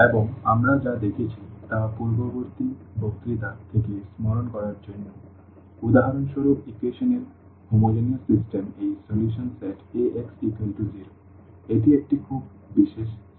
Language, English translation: Bengali, And, just to recall from the previous lecture what we have seen for instance this solution set of the homogeneous system of equations Ax is equal to 0, that is a very special set